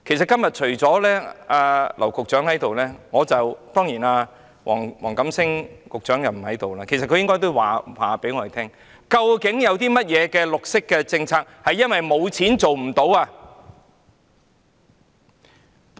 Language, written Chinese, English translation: Cantonese, 今天只有劉局長在席，黃錦星局長並不在席，其實黃局長應告訴我們有哪些綠色政策是因為沒有資金而無法推行的。, Today only Secretary James Henry LAU is present . Secretary WONG Kam - sing is not here . In fact Secretary WONG Kam - sing should tell us which green initiatives have been prevented from implementation due to shortage of funds